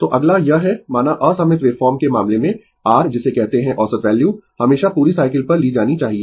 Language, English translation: Hindi, So, next is that suppose in the case of unsymmetrical wave form the the your what you call the average value must always be taken over the whole cycle